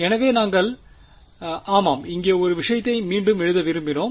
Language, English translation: Tamil, So, when we had yeah just wanted to re rewrite one thing over here